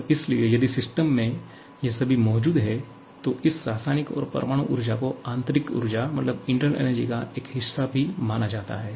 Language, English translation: Hindi, And therefore, if at all present in the system, this chemical and nuclear energies are also considered as a part of the internal energy